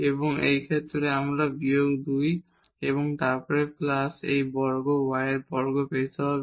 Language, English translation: Bengali, And if we take x is equal to 0 and in this case we will get minus 2 and then plus this y square